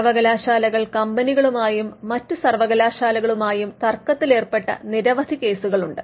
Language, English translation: Malayalam, So, there are in various cases where universities have fought with companies, universities have fought with other universities